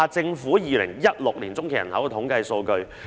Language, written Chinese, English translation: Cantonese, 再看看政府的2016年中期人口統計數據。, Let us look at the statistics of the 2016 Population By - census of the Government